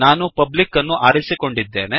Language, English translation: Kannada, Here I have selected public